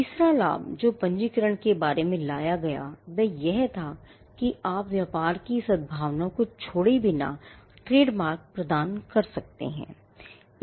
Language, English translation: Hindi, The third benefit that registration brought about was the fact that, you could assign trademarks without giving away the goodwill of the business